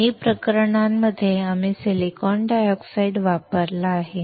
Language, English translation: Marathi, In both the cases, we have used the silicon dioxide